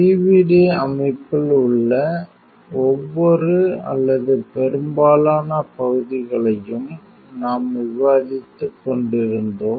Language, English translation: Tamil, We were discussing each and every or most of the parts within the PVD system